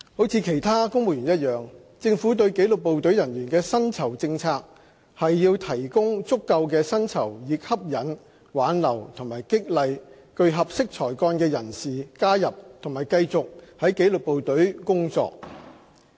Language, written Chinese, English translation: Cantonese, 如其他公務員一樣，政府對紀律部隊人員的薪酬政策是提供足夠的薪酬以吸引、挽留和激勵具合適才幹的人士加入及繼續在紀律部隊工作。, As with all other civil servants the Governments pay policy for the disciplined services is to offer sufficient remuneration to attract retain and motivate individuals of suitable calibre to join and serve continuously in the services